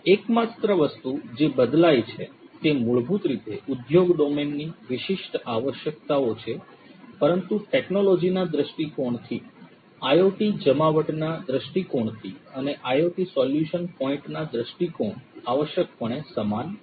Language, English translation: Gujarati, The only thing that changes is basically the industry domain specific requirements, but from a technology point of view, from an IoT deployment point of view and IoT solution point of view things are essentially the same